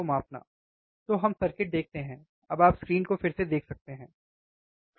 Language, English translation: Hindi, So, let us see the circuit, now you can see the screen again, right